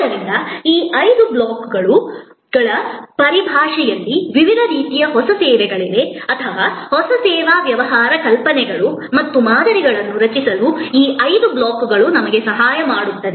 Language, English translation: Kannada, So, there are different kinds of new services which can be understood in terms of these five blocks or these five blocks can help us to generate new service business ideas and models